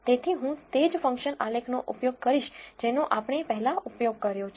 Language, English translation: Gujarati, " So, I am going to use same function plot which we have earlier used